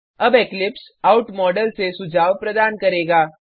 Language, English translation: Hindi, Now Eclipse will provide suggestions from the out module